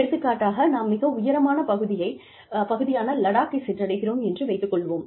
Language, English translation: Tamil, For example, we are based in, say, a high reach area like, Ladakh